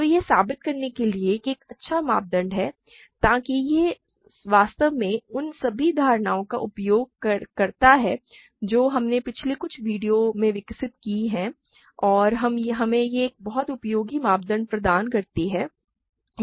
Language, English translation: Hindi, So, this is a good criterion to prove, so that it actually uses all the notions that we developed in the last couple of videos and it gives us a very useful criterion